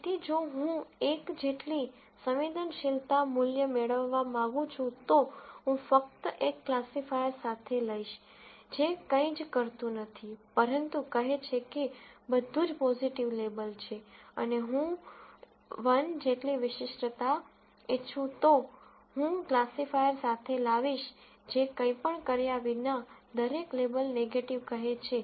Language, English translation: Gujarati, So, if I want to get a sensitivity value of 1, I simply come up with a classifier, which does nothing but says everything is a positive label and if I want, a specificity of 1, I come up with a classifier which says every label is negative without doing anything